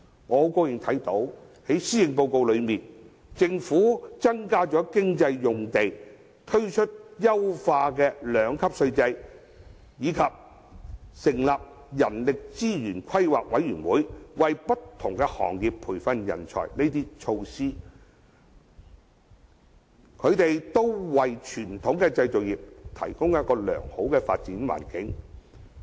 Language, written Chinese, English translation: Cantonese, 我很高興從施政報告看到，政府增加工業用地，推出優化的兩級稅制，以及成立人力資源規劃委員會，為不同行業培訓人才等措施，均對傳統的製造業提供良好的發展環境。, I am glad to see that the Policy Address states that the Government will increase the sites for industrial use introduce a refined two - tier profits tax system as well as set up a Commission for the Planning of Human Resources for the training of talent for various trades and industries . These measures will create a favourable environment for the development of the traditional manufacturing industries